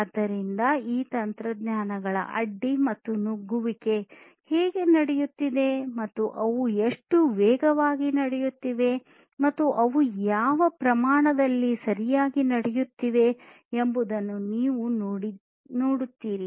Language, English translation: Kannada, So, you see that how this disruption and penetration of these technologies are happening and how fast they are happening and in what scale they are happening right